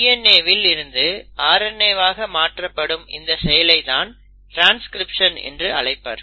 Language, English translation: Tamil, There are other species of RNA as well, but this conversion from DNA to RNA is process one which is called as transcription